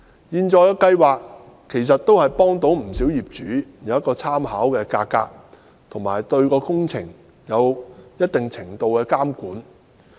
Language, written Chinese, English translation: Cantonese, 現在的計劃讓不少業主有參考價格，亦對工程有一定程度的監管。, Under the scheme a number of homeowners have access to reference prices and can monitor some works to a certain extent